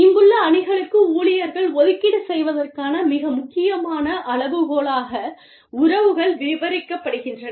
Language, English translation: Tamil, The relationships are described, as the most important criteria, for staff allocation to teams, here